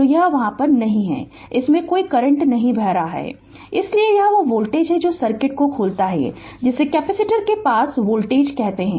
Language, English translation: Hindi, So, it is not there and no current is flowing through this, so this is the voltage that opens circuit what you call that, voltage across the capacitor